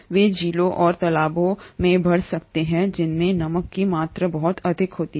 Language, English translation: Hindi, They can grow in lakes and ponds which have very high salt content